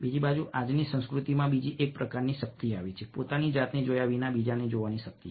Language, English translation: Gujarati, on the other hand, in todays culture, another kind of power has come: the power of watching others without yourself being watched